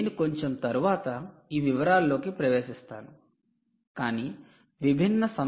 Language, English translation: Telugu, we will get into this detail a bit later, but there were different versions here